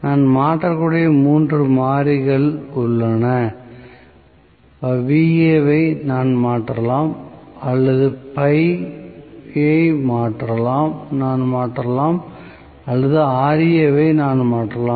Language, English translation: Tamil, So, I have totally 3 variables that I can change, either Va I can change or phi I can change or Ra I can change